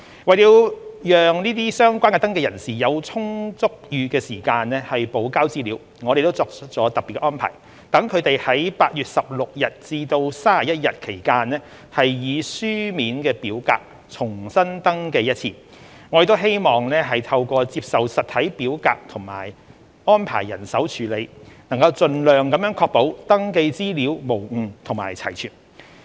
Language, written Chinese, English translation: Cantonese, 為了讓相關登記人有充裕時間補交資料，我們作出了特別安排，讓他們在8月16日至31日期間以書面表格重新登記一次，我們希望透過接受實體表格及安排人手處理，能盡量確保登記資料無誤及齊全。, To allow sufficient time for relevant registrants to provide supplementary information we have made special arrangement to enable them to resubmit their registrations once in paper form between 16 and 31 August . We hope that by arranging staff to receive and process the paper registration forms we can ensure that the information provided is correct and complete